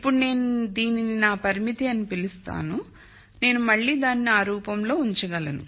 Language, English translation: Telugu, So, now, I call this my constraint so I can again put it in this form